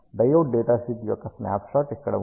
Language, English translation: Telugu, Here is a snapshot of the diode datasheet